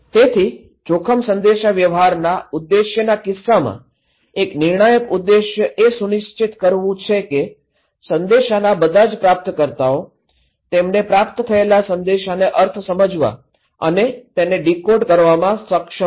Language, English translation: Gujarati, So, in case of objectives of the risk communication; one of the critical objective is to make sure that all receivers, all receivers of the message are able and capable of understanding and decoding the meaning of message sent to them